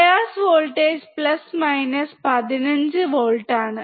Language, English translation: Malayalam, Bias voltage is plus minus 15 volt